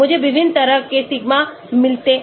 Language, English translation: Hindi, I get different sigmas and so on